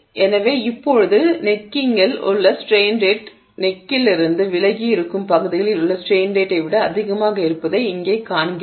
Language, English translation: Tamil, So, now we see here that the strain rate at the neck is higher than the strain rate at regions away from the neck